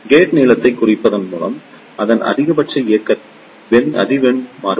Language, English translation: Tamil, By reducing the gate lengths, its maximum operating frequency can be varied